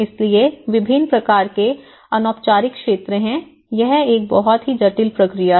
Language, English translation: Hindi, So, there are a variety of informal sectors, it’s a very complex phenomenon